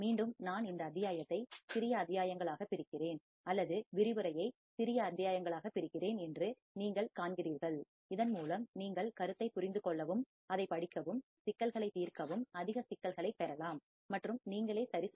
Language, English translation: Tamil, Again you see I am breaking this module into small modules or breaking the lecture into small modules, so that you can understand the concept, read it, solve the problems get more problems and solve by yourself all right